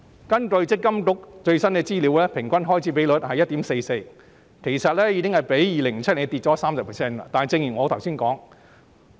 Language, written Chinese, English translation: Cantonese, 根據積金局最新資料，行政費用平均開支比率是 1.44%， 其實已較2007年下跌了 30%。, According to the latest information provided by MPFA the average administration fee ratio stands at 1.44 % down 30 % from 2007